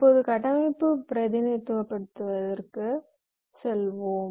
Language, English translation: Tamil, ok, fine, now let us move to the structural representation